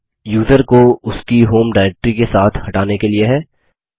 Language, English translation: Hindi, This is to remove the user along with his home directory